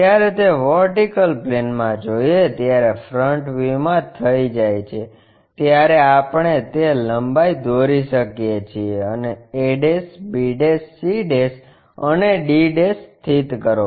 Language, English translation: Gujarati, When it is done in the vertical plane the front view, we can draw that length locate a', b', c', d'